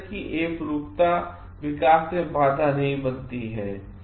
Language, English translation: Hindi, Such oneness does not hinder development